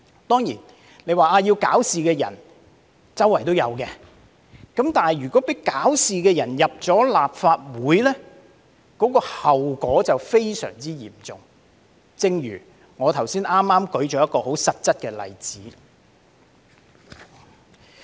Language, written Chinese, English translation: Cantonese, 當然，大家會說搞事的人四處也有，但如果讓搞事的人進入立法會，後果便非常嚴重，正如我剛才舉出的實質例子一樣。, Of course people may say that there are trouble - makers everywhere . But if we let trouble - makers into the Legislative Council the consequences will be very serious just as I explained in the concrete examples that I cited earlier on